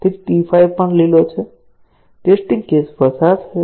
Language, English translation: Gujarati, So, T 5 is also green; the test case passed